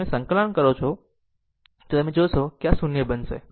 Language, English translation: Gujarati, If you do integration, you will see this will become 0 right